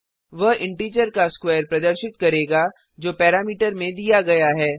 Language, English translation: Hindi, That will display a square of an integer which is given as a parameter